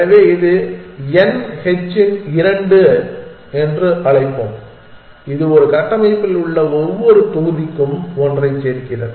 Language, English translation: Tamil, So, let us call it h two of n and this says add one for every block in a structure